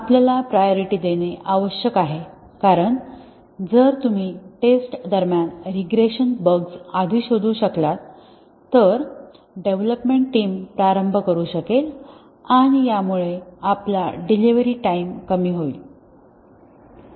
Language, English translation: Marathi, We need to prioritize because if you can detect the regression bugs earlier during testing then the development team can get started and that will reduce our delivery time